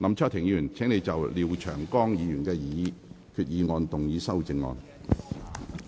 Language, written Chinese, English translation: Cantonese, 林卓廷議員，請就廖長江議員的擬議決議案動議修訂議案。, Mr LAM Cheuk - ting you may move your amending motion to Mr Martin LIAOs proposed resolution